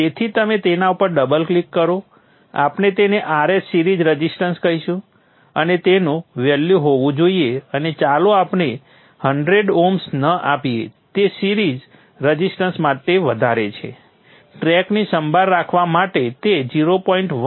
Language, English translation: Gujarati, So you double click on those, we will call this as R S series resistance and it should have a value and let us not give 100 oms it is too much of a series resistance a point one home is a reasonable value to take care of the track impedance